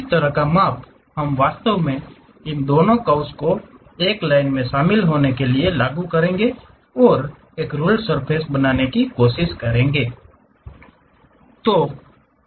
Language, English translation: Hindi, That kind of weightage we will apply to really map these two curves by joining a line and try to construct a ruled surface